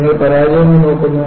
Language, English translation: Malayalam, And you look at the failures